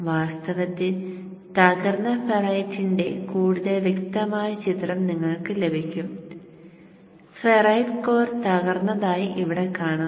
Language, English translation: Malayalam, In fact, you can get a much more clearer picture from a broken ferrite core here